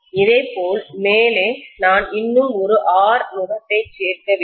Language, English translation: Tamil, Similarly, on the top also I have to include one more R yoke